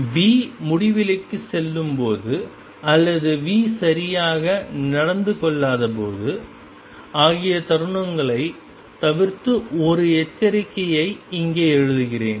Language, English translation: Tamil, Let me write a warning here except when v goes to infinity or v is not well behaved